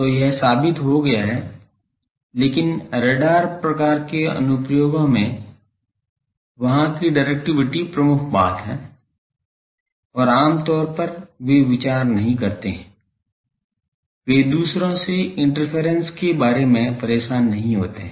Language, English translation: Hindi, So, that is proven, but in radar type of applications there the directivity is prime thing and generally they do not consider, they do not bother about the interference from others